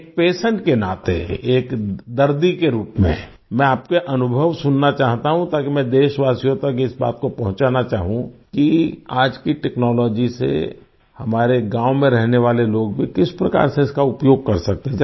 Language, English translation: Hindi, As a patient, I want to listen to your experiences, so that I would like to convey to our countrymen how the people living in our villages can use today's technology